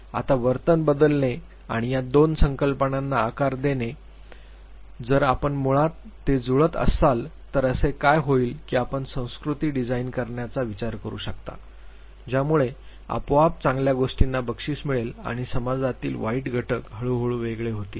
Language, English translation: Marathi, Now behavior modification and shaping these 2 concepts if you match it basically, what would happen that you can think of designing culture which would automatically reward good things and the bad elements in the society will gradually get distinguished